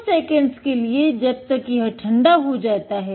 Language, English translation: Hindi, Just a few seconds until its cold